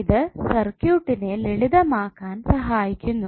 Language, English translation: Malayalam, because it helps in simplifying the circuit